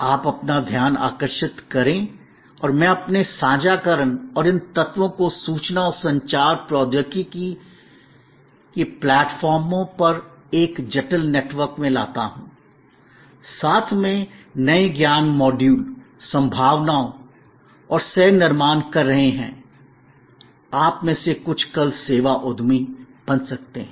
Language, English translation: Hindi, You bring your attention and I bring my sharing and these elements in a complex network over information and communication technology platforms are together co creating new knowledge modules, possibilities and for all we know, some of you may become tomorrow service entrepreneurs